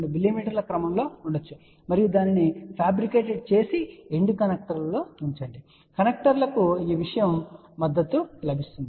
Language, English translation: Telugu, 2 mm and then get it fabricated and then put it on the connectors at the end connectors these thing will get supported